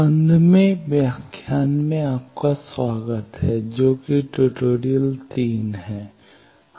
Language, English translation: Hindi, Welcome to the 15th lecture, that is tutorial 3